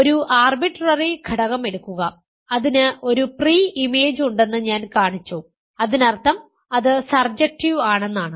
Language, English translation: Malayalam, Take an arbitrary element and I have shown that it has a pre image, that means it is surjective